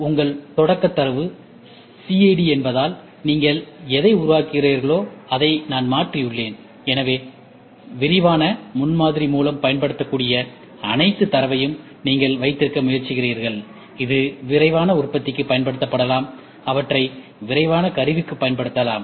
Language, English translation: Tamil, I have just changed what you get to what you build, because your starting data is CAD, so where in which you try to have all the data which can be used by rapid prototyping, which can be used for rapid manufacturing, which can be used for rapid tooling